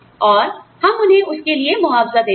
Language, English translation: Hindi, And, we compensate them, for that